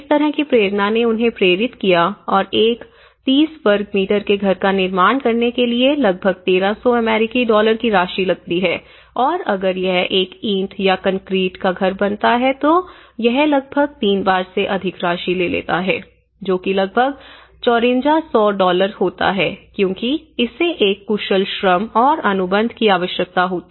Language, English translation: Hindi, So, that kind of inspiration it has motivated them and about 1300 US dollars it used to take construct a 30 square meter house and if it was taken by a brick or concrete house, it would have taken more than nearly, thrice the amount which is about 5400 dollars because which needs a skilled labour, skilled contract